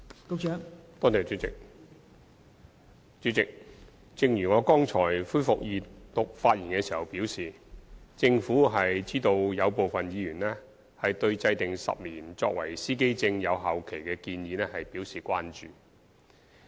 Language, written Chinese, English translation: Cantonese, 代理主席，正如我剛才就恢復二讀辯論發言時表示，政府知道有部分議員對制訂10年司機證有效期的建議表示關注。, Deputy Chairman as I said upon resumption of the Second Reading debate just now the Government is aware that some Members have expressed concern over the proposal for a 10 - year validity period of driver identity plates